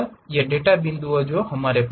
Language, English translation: Hindi, These are the data points what we have